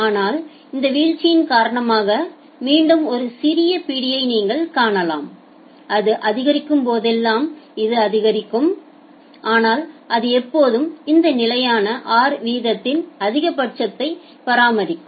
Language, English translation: Tamil, But then you can see a little grip here due to this drop again whenever it is increasing it will increase and, but it will always maintain the maximum of this constant rate r